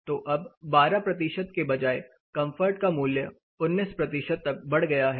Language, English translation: Hindi, So, in place of 12 percent the comfort has increased to 19 percent